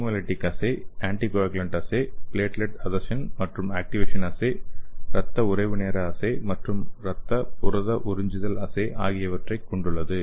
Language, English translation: Tamil, So it is a haemolytic assay or anticoagulants assay and platelet adhesion and activation assay, blood coagulation time assay and blood protein adsorption assay